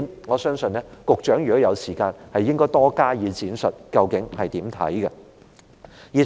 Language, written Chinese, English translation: Cantonese, 我相信如果局長有時間，應就這點多加闡述，究竟她有何看法？, If the Secretary has time she should elaborate more on her views in this aspect